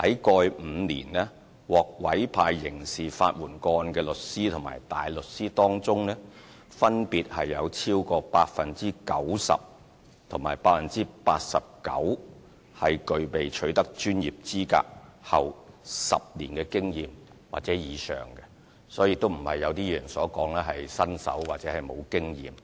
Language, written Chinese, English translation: Cantonese, 過去5年，在獲委派刑事法援個案的律師和大律師當中，分別有超過 90% 和 89% 在取得專業資格後，具備10年或以上經驗，他們並非如一些議員所說是新手或沒有經驗。, Over the past 5 years of all lawyers and counsel assigned to handle criminal legal aid cases over 90 % and 89 % have at least 10 years post - qualification experience . Therefore they are not novices or inexperienced lawyers